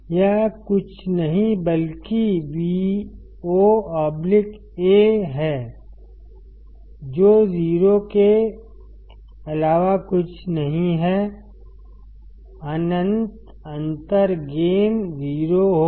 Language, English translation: Hindi, It is nothing but Vo by A which is nothing but 0; infinite differential gain would be 0